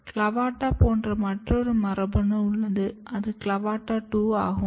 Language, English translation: Tamil, Then there was another CLAVATA like genes which is CLAVATA2